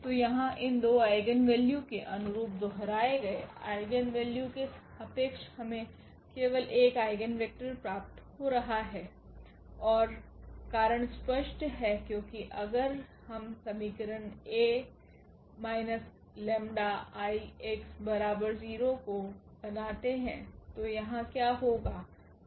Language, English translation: Hindi, So, here the corresponding to these 2 eigenvalues the repeated eigenvalue we are getting only 1 eigenvector and the reason is clear because if we formulate this equation A minus lambda I x is equal to 0